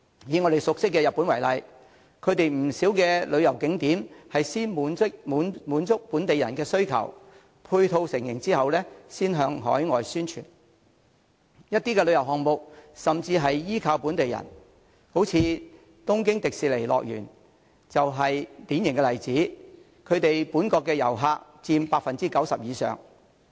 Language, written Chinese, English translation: Cantonese, 以我們熟悉的日本為例，其不少旅遊景點是先滿足本地人的需求，配套成型後才向海外宣傳；一些旅遊項目甚至是依靠本地人，東京迪士尼樂園就是典型例子，本國遊客佔其訪客總數 90% 以上。, Many tourist attractions in Japan were promoted overseas only after they had satisfied the demand of local people and after their ancillary services had taken shape . Some of the tourism projects there even rely on local people . A typical case in point is Tokyo Disneyland with domestic tourists accounting for over 90 % of the total attendance